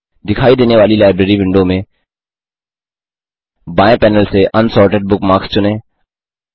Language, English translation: Hindi, In the Library window that appears, from the left panel, select Unsorted bookmarks